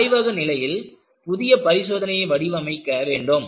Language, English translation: Tamil, So, in a laboratory condition, you have to design a new test